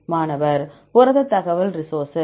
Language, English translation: Tamil, Protein information resource